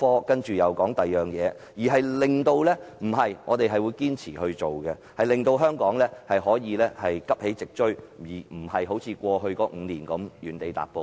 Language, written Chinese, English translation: Cantonese, 既然政府提倡創科，便必須堅持推動創科發展，令香港可以急起直追，而非像過去5年一樣原地踏步。, Now that the Government promotes innovation and technology it must persist in undertaking the work so as to help Hong Kong catch up instead of making no progress in the past five years